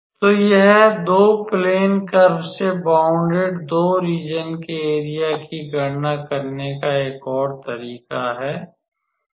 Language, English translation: Hindi, So, this is an another way to calculate the area of 2 of the region bounded by 2 plane curves